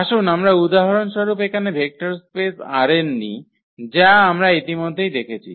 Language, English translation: Bengali, So, let us take the example here the vector space R n which we have already studied